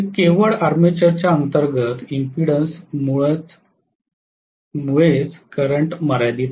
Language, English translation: Marathi, So current is limited only because of the internal impedance of the armature